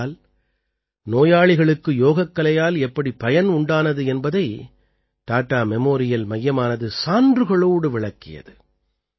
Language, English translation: Tamil, Because, Tata Memorial center has conveyed with evidence how patients have benefited from Yoga